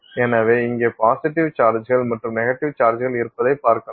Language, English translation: Tamil, So, you will see positive charges built here and negative charges built here